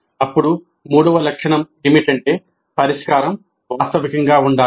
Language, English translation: Telugu, Then the third feature is that the solution must be realistic